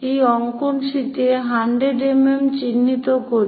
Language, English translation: Bengali, So, let us mark 100 mm on this drawing sheet